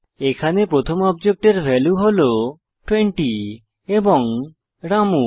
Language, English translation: Bengali, The first object has the values 20 and Ramu